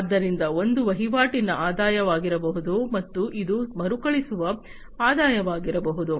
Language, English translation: Kannada, So, one could be the transaction revenues, and this could be the recurring revenues